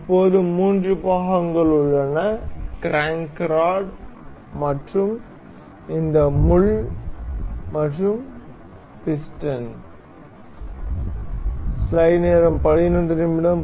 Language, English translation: Tamil, Now, there remains the three parts, the crank rod and this pin and the sorry the piston